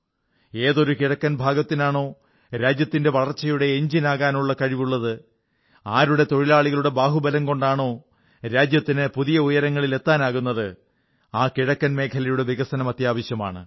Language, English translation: Malayalam, The very region which possesses the capacity to be the country's growth engine, whose workforce possesses the capability and the might to take the country to greater heights…the eastern region needs development